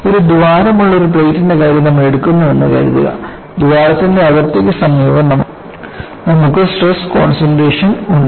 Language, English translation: Malayalam, Suppose you take the case of a plate with a hole, you have stress concentration near the hole boundary